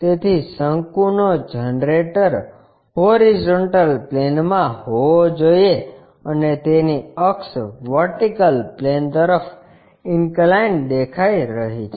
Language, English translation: Gujarati, So, a cone generator has to be on the horizontal plane and its axis appears to be inclined to vertical plane